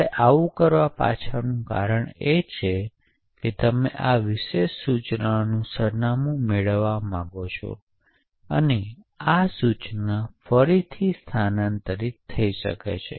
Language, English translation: Gujarati, The reason why we do this is that you want to get the address of this particular instruction and this instruction can be relocatable